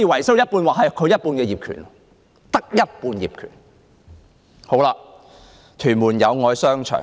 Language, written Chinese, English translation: Cantonese, 此外，我們亦曾視察屯門的友愛商場。, Furthermore we have also visited Yau Oi Commercial Centre in Tuen Mun